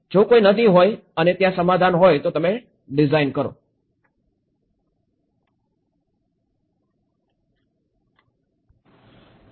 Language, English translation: Gujarati, If there is a river and there is a settlement you are designing